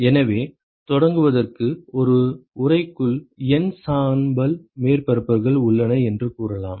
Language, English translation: Tamil, So, to start with let us say that there are N gray surfaces, in an enclosure ok